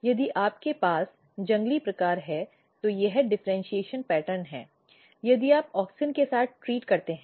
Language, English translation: Hindi, So, if you have wild type this is the differentiation pattern if you treat with auxin